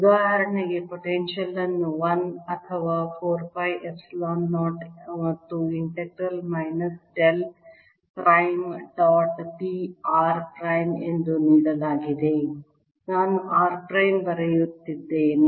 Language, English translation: Kannada, for example, the potential was given as one or four pi, epsilon, zero and integral minus del prime, dot, p r prime